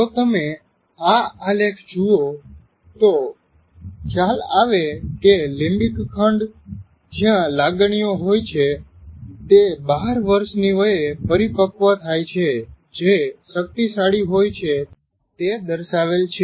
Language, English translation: Gujarati, If you look at this, the limbic area where the emotions are, we will explain presently, it matures by the age of 12